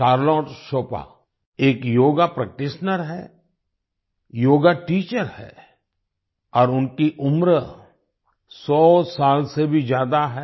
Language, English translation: Hindi, Charlotte Chopin is a Yoga Practitioner, Yoga Teacher, and she is more than a 100 years old